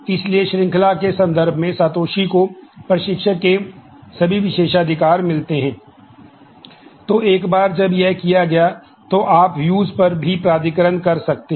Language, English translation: Hindi, So, the Satoshi in terms of chaining gets all the privileges that instructor has